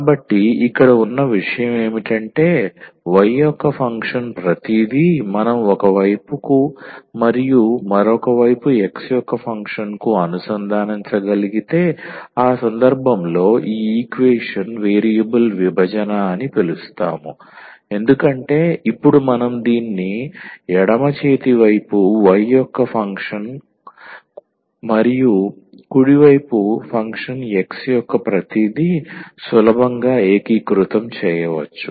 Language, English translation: Telugu, So, the point here is that everything the function of y if we can collate to one side and the other side the function of x, in that case we call that this equation is variable separable because now we can easily integrate this because the left hand side only the function of y and the right hand side everything of function x